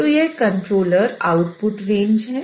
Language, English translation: Hindi, So this is a controller output range